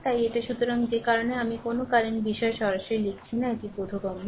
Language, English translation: Bengali, So, that is why I am not written any current thing directly it is understandable